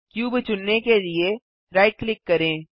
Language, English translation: Hindi, Right click the cube to select it